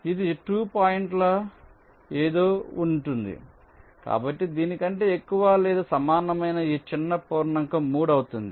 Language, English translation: Telugu, so this smallest integer greater than or equal to this will be three